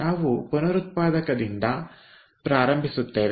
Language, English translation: Kannada, so we will start with regenerator now